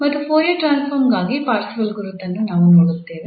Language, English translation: Kannada, So, that was the Fourier Parseval's identity for the Fourier transform